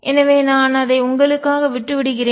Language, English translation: Tamil, So, I will leave that for you